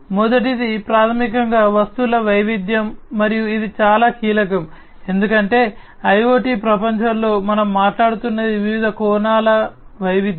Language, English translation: Telugu, The first one is basically the diversity of the objects, and this is very key because in the IoT world what we are talking about is diversity of different aspects